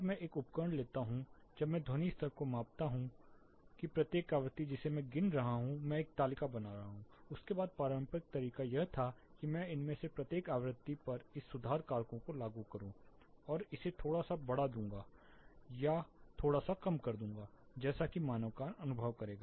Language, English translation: Hindi, When I take a instrument when I measure the sound level the spectrum each frequency I am counting I am making a table after that the conventional way of doing it was I used to apply this correction factors at each of these frequency and scale it down or slightly up toward the human ear actually will be perceiving